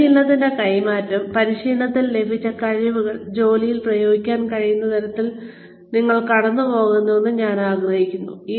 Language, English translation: Malayalam, I would like you to go through, the transfer of training, which is the extent to which, competencies learnt in training, can be applied on the job